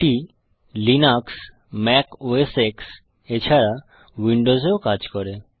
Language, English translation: Bengali, It is supposed to work on Linux, Mac OS X and also on Windows